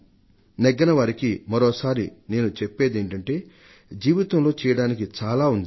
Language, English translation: Telugu, And those who were not able to succeed, I would like to tell them once again that there is a lot to do in life